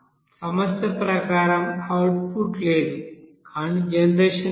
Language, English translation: Telugu, There will be no output as per problem, but generation is there